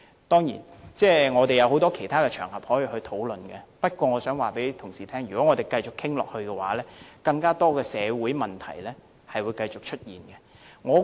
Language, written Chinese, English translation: Cantonese, 當然，我們還有很多其他場合可以進行討論，但我想告訴同事，如果我們繼續討論下去，將繼續有更多社會問題出現。, Certainly there are many other occasions on which we may hold discussions but I wish to tell Honourable colleagues that if we dwell on this discussion any further more social problems will continue to arise